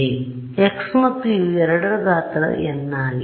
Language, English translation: Kannada, So, x and u both are of size n